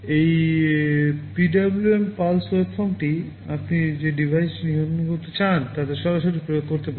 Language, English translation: Bengali, This PWM pulse waveform you can directly apply to the device you want to control